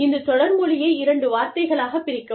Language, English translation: Tamil, Let us split this word, into two words